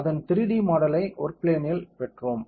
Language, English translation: Tamil, We got the 3D model of it in the work plane